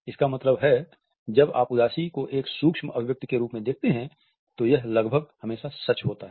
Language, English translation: Hindi, This means when you see sadness as a micro expression it is almost always true